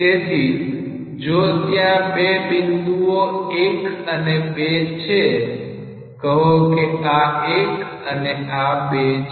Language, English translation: Gujarati, So, if there are two points 1 and 2 say this is 1 and this is 2